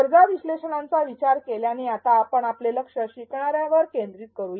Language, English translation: Marathi, Having thought of the needs analysis now we shift our attention to the learner